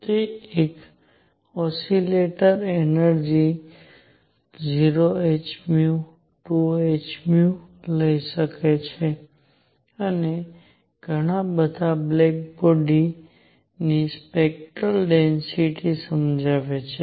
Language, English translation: Gujarati, That is an oscillator can take energies 0 h nu 2 h nu and so on explains the black body spectral density